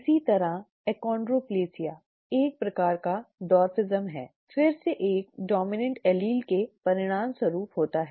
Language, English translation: Hindi, Similarly achondroplasia, a type of dwarfism, results from a dominant allele again